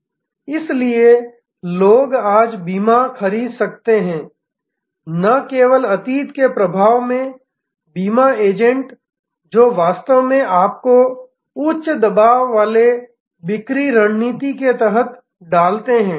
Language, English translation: Hindi, So, a people can buy insurance today, not under the influence of yesteryears, insurance agents who would have actually put you under a high pressure selling tactics